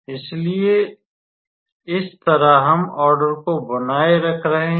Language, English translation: Hindi, So, that is how we are maintaining the order